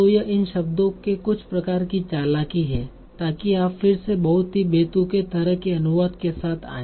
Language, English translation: Hindi, So this is some sort of jugglery of these words so that you again come up with a very, very absurd sort of translation